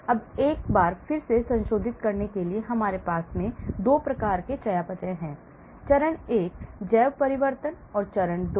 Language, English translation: Hindi, Now, once more to revise, we have 2 types of metabolism; phase 1 bio transformation and phase 2